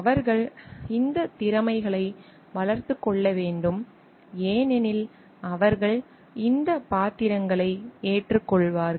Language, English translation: Tamil, They need to develop these competencies also because they will be taking up these roles